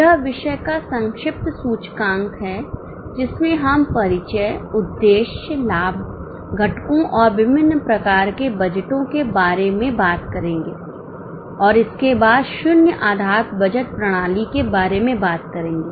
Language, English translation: Hindi, We will talk about introduction, objectives, advantages, components and different types of budgets and then about zero based budgeting system